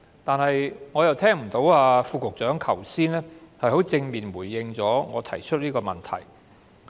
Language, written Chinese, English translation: Cantonese, 但是，剛才我聽不到局長有正面回應我這個問題。, However just now I have not heard any positive response from the Secretary to my question